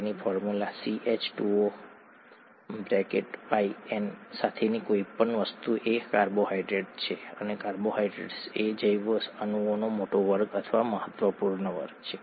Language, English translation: Gujarati, So, anything with a formula N is a carbohydrate and carbohydrates are a large class or an important class of biomolecules